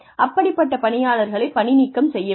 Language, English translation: Tamil, The employee should be fired